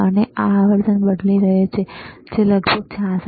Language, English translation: Gujarati, And he is changing the frequency, which is about 66